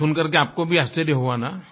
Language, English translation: Hindi, Weren't you also surprised to hear this